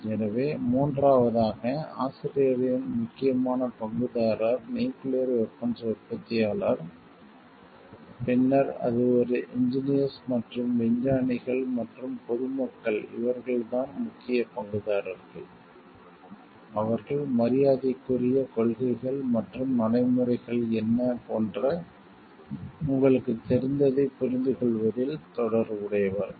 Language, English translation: Tamil, So, third is of the author important stakeholder is the nuclear weapon manufacturer, then it is a engineers and scientists and, common public these are the main stakeholders, who are connected to understanding the you know like, what are the policies and practices with respect to like